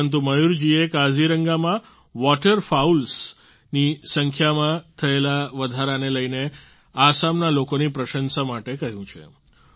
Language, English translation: Gujarati, But Mayur ji instead has asked for appreciation of the people of Assam for the rise in the number of Waterfowls in Kaziranga